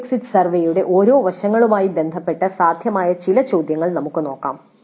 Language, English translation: Malayalam, Then with respect to each aspect of the course exit survey, some of the possible questions let us see